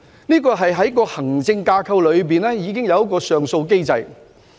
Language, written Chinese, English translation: Cantonese, 這是在行政架構第二層已設有的上訴機制。, This is the appeal mechanism at the second tier of the administrative framework